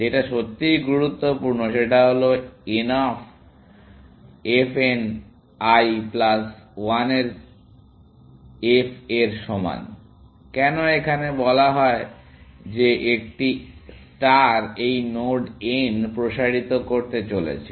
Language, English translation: Bengali, What is really important is that f of n is less than equal to f of n l plus 1, why because we are said that A star is about to expand this node n